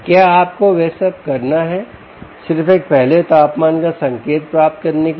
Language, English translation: Hindi, do you have to do all of that to just get a first line indication of temperature